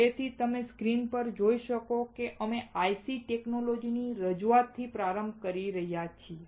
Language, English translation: Gujarati, So, you can see on the screen, we are starting with the introduction to IC technology